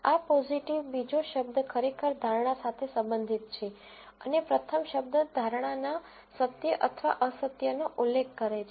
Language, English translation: Gujarati, This positive, the second word actually relates to the prediction and the first word refers to the truth or non truth of the prediction